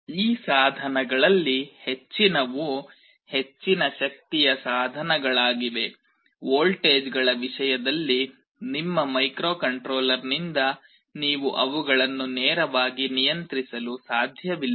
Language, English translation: Kannada, Most of these devices are high power devices, you cannot directly control them from your microcontroller in terms of voltages